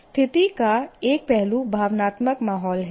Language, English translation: Hindi, The situation, one aspect of situation is emotional climate